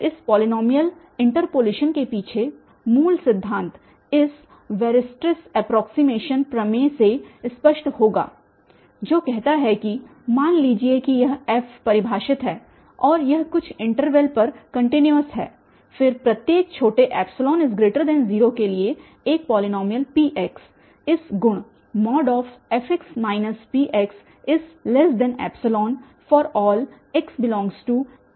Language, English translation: Hindi, So, what is the fundamental principle behind this polynomial interpolation that will be clear from this Weirstrass approximation theorem, which says that suppose this f is defined and it is continuous on some interval then for each epsilon however small, for each epsilon there exist a polynomial P x with the property that f x minus P x is less then epsilon